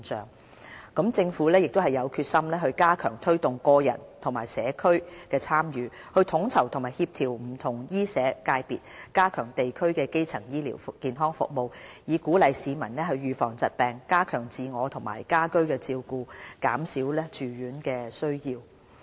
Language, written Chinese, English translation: Cantonese, 另一方面，政府也有決心加強推動個人和社區的參與，統籌和協調不同醫社界別，加強地區基層醫療服務，以鼓勵市民預防疾病，加強自我和家居照顧，減少住院需要。, On the other hand we are determined to step up efforts to promote individual and community involvement enhance coordination among various medical and social sectors and strengthen district - level primary health care services . Through these measures we aim to encourage the public to take precautionary measures against diseases enhance their capability in self - care and home care and reduce the demand for hospitalization